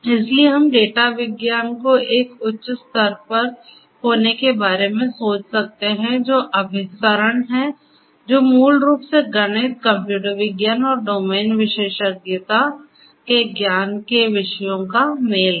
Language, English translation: Hindi, So, we can think of you know data science to be at a higher level which is convergent, which is basically an intersection of the disciplines of mathematics, computer science and also the knowledge from the domain the domain expertise